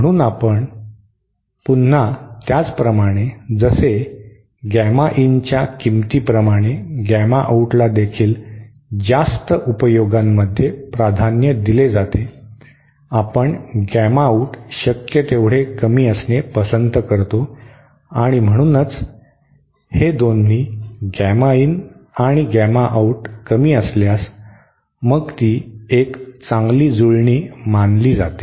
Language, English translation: Marathi, So again just like the same case as the gamma in the value of gamma out also is preferred in many applications we prefer the gamma out to be as low as possible and so thatÕs how no, both these gamma in and gamma out if they are low then itÕs considered to be a good matching